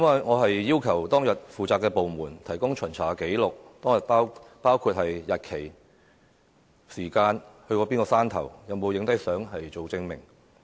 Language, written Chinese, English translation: Cantonese, 我要求當日負責的部門提供巡查紀錄，包括巡查日期、時間、所到過的山頭，以及照片證明。, I demand that the department in charge of the inspection that day provides the inspection record including details of the date time mountain visited and photographs as proofs